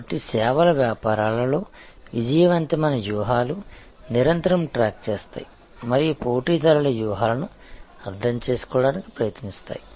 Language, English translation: Telugu, So, successful strategies in the services businesses therefore, will constantly track and try to understand the competitors strategies